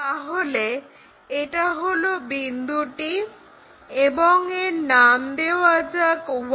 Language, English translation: Bengali, So, this is the point and let us name this one as 1